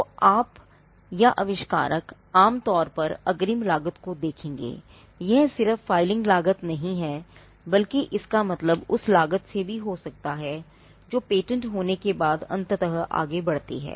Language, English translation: Hindi, So, you or the inventor would normally look at the upfront cost, and the upfront cost is not just the filing cost, but it could also mean the cost that eventually pursue when a patent is granted